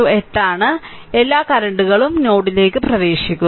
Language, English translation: Malayalam, So, all current are entering into the node right